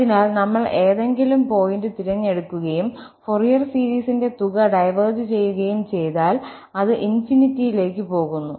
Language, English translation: Malayalam, So, if we choose any point and the sum of the Fourier series diverges, it goes to infinity